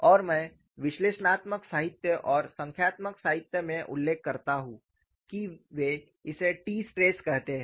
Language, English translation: Hindi, And I mention in analytical literature and numerical literature they call it as t stress